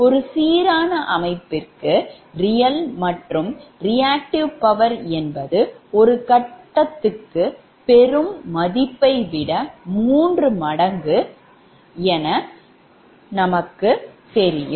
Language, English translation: Tamil, because it is a balanced system, real and reactive powers are three times the corresponding per phase values